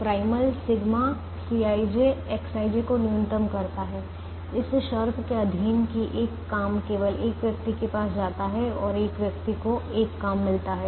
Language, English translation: Hindi, the primal minimizes sigma c, i, j, x, i, j, subject to the condition that one job goes to exactly one person and one person gets exactly one job